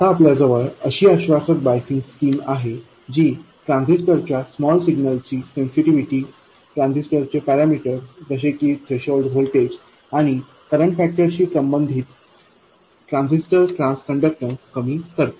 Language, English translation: Marathi, We now have come up with a biasing scheme that promised us to reduce the sensitivity of transistor small signal parameters, the transistor transconductance, with respect to the parameters of the transistor such as the threshold voltage and current factor